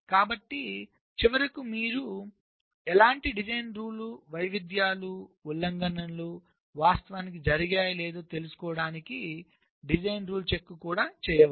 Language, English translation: Telugu, so at the end you can also carry out a design rule check to find out if any such design rule variations, violations have actually taken place